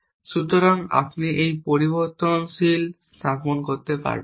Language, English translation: Bengali, So, you cannot place a variable